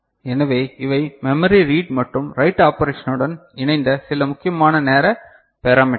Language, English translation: Tamil, So, these are some important timing parameters in association with memory read and write operation ok